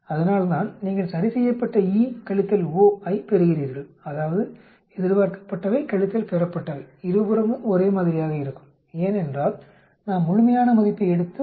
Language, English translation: Tamil, And that is why you get the corrected E minus O, that is expected minus observed to be the same on both sides, because we are taking the absolute value and then subtracting minus 0